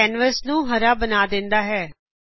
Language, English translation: Punjabi, This makes the canvas green in color